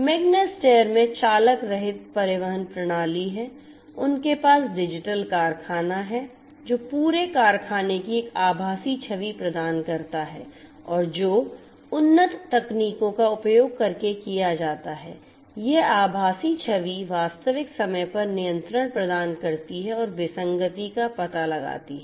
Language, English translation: Hindi, Magna steyr has the driverless transport system, they have the digital factory which offers a virtual image of the entire factory and that is done using advanced technologies this virtual image provides real time control and detects in the anomaly